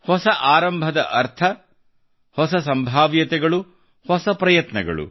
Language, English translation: Kannada, New beginning means new possibilities New Efforts